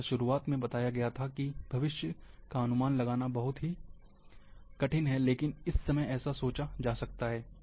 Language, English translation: Hindi, As in beginning, it is said, that it is very hard to predict future, but this is what it can be thought at this time